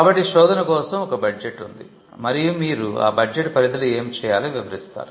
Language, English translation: Telugu, So, there is a budget for the search, and you will describe within that budget what needs to be done